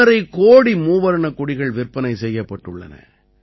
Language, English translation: Tamil, 5 crore tricolors were sold through 1